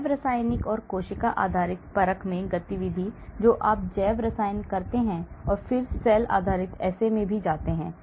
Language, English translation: Hindi, Activity in biochemical and cell based assay; so you do the biochemical and then go to cell based assays also